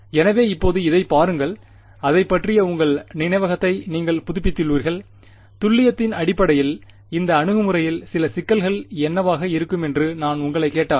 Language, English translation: Tamil, So, now having seen this now that you have refresh your memory about it, if I ask you what would be some of the problems with this approach in terms of accuracy